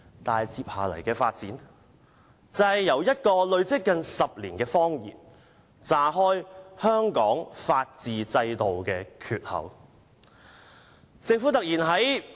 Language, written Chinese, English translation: Cantonese, 但是，事情接下來的發展，就是這個撒了近10年的謊言"炸開"了香港法治制度的缺口。, However what followed was that such a lie that had been told for almost 10 years ripped open the system of the rule of law in Hong Kong